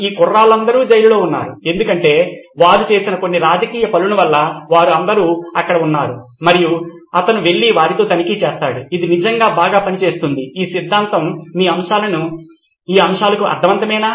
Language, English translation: Telugu, All these guys were there in prison because of some political something that they had done, so they were all there and he would go and check with them that is this really working out very well, is this theory does this make sense for your domain